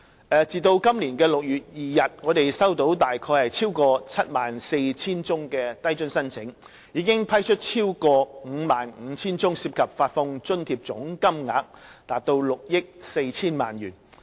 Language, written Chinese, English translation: Cantonese, 截至今年6月2日，低津計劃收到大約逾 74,000 宗申請，我們已批出超過 55,000 宗，涉及發放津貼總金額逾6億 4,000 萬元。, As at 2 June this year LIFA Scheme has received about some 74 000 applications of which 55 000 applications have been approved with the amount of allowance approved totalling 640 million